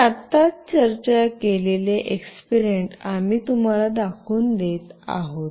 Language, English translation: Marathi, Now, we will be demonstrating you the experiment that I have just now discussed